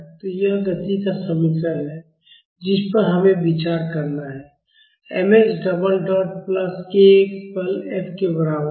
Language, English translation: Hindi, So, this is the equation of motion we have to consider; m x double dot plus k x is equal to the force F